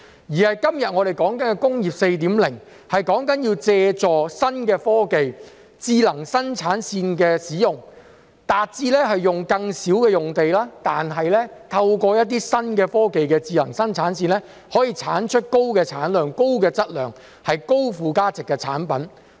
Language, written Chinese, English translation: Cantonese, 我們今天所說的"工業 4.0"， 是要借助新的科技、智能生產線的使用，達致使用更少用地，透過一些新的科技及智能生產線，來生產高產量、高質量及高附加值的產品。, The Industry 4.0 we are talking about today is the use of new technology and smart production lines to produce high yield high quality and high value - added products with reduced use of land